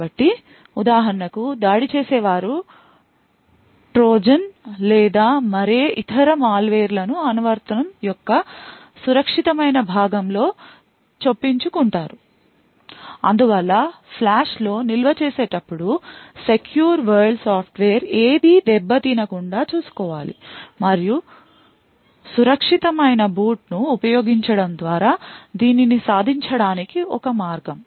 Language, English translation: Telugu, So, for example an attacker would insert Trojan’s or any other malware in the secure component of the application thus we need to ensure that no secure world software gets tampered with while storing in the flash and one way to achieve this is by using secure boot